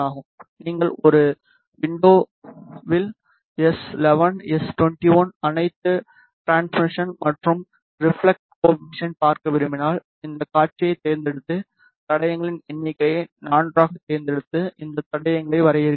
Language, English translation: Tamil, If you want to see s 11, s 21 all the transmission and reflection coefficient in one window then just select this display and select the number of traces s 4 and then you define these stresses